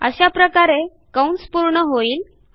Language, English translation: Marathi, This completes the arc